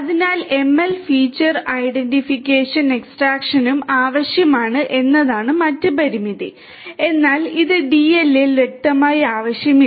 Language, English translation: Malayalam, So, also the other limitation was that feature identification and extraction is required in ML whereas, it is not you know required explicitly in DL